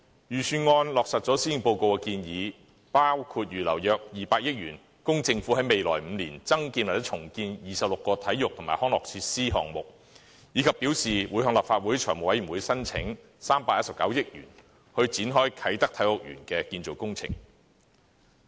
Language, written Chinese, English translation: Cantonese, 預算案落實了施政報告的建議，包括預留約200億元，供政府在未來5年增建或重建26個體育及康樂設施項目，以及表示會向立法會財務委員會申請319億元，以展開啟德體育園的建造工程。, The Budget helps materialize the undertakings made by the Policy Address by means of earmarking about 20 billion for the development and redevelopment of 26 sports and recreation facilities in the coming five years and pledging to seek 31.9 billion funding approval from the Legislative Council Finance Committee to kick - start the construction of the Kai Tak Sports Park